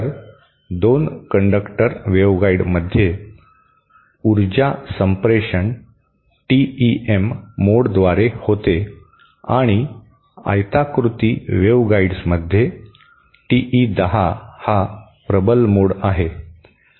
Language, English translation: Marathi, So, in a 2 conductor waveguide, the power transmission is through the TEM mode and in a rectangular waveguide, TE 10 is the dominant mode